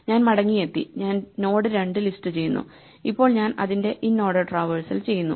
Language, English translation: Malayalam, So, this produces one now I come back and I list out the node two and now I do an inorder traversal of it is right